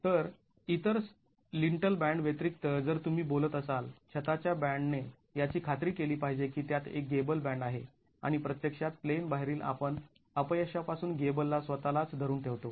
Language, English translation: Marathi, So, in addition to the other lintel bands that you were talking about, the roof band must ensure that it has a gable band and actually holds the gable from out of plain failure itself